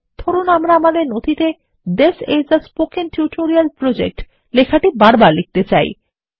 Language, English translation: Bengali, Lets say we want to type the text, This is a Spoken Tutorial Project repeatedly in our document